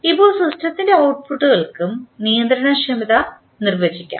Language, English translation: Malayalam, Now, controllability can also be defined for the outputs of the system